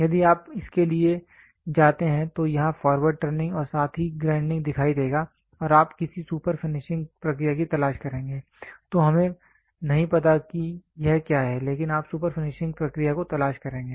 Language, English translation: Hindi, If you go for this it will be looking forward turning plus grinding plus you will look for some super finishing process some super finishing process, we do not know what is it, but you will look for a super finishing process